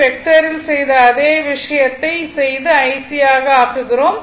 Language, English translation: Tamil, So, the way you do what vector same thing we are making it IC by reading it is